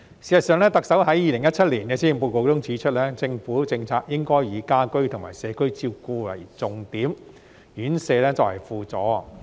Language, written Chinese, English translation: Cantonese, 事實上，特首在2017年施政報告中指出，政府的政策應以家居及社區照顧為重點，院舍作為輔助。, In fact the Chief Executive highlighted in the 2017 Policy Address that the Governments policy should accord priority to the provision of home care and community care supplemented by residential care